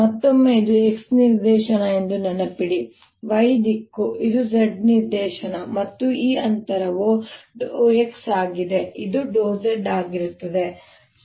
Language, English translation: Kannada, again, remember, this is my x direction, this is my y direction, this is my z direction and this distance is delta x